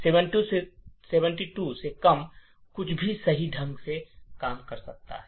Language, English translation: Hindi, Anything less than 72 could work correctly